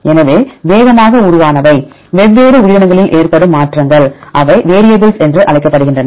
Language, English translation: Tamil, So, the ones which evolved rapidly that changes in different organisms they are called variable